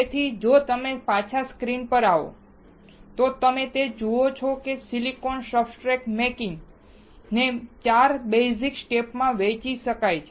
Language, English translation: Gujarati, So, if you come back to the screen, what you see is, silicon substrate making can be divided into 4 basic steps